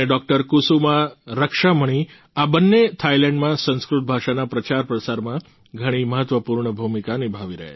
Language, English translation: Gujarati, Kusuma Rakshamani, both of them are playing a very important role in the promotion of Sanskrit language in Thailand